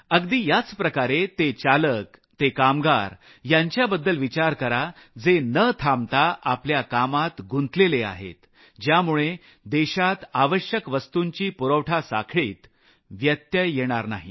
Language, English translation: Marathi, Similar to that, think about those drivers and workers, who are continuing to work ceaselessly, so that the nation's supply chain of essential goods is not disrupted